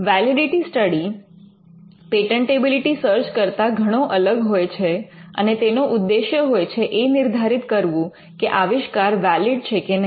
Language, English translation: Gujarati, A validity study is much different from a patentability search, and it involves determining whether an invention is valid or not